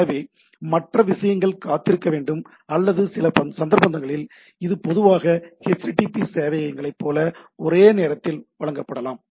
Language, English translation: Tamil, So, the other things has to wait or so, some of the most of the cases, it can be served concurrently like typically http servers